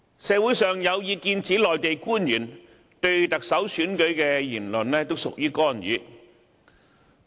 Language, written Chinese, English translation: Cantonese, 社會上有意見指，內地官員就特首選舉發表言論都屬於干預。, There are opinions in society that any Mainland officials speaking on the Chief Executive Election is a kind of interference